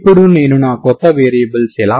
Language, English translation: Telugu, Now how do I get my new variables